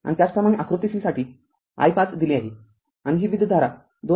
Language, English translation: Marathi, And similarly for figure c i 5 is given we got 2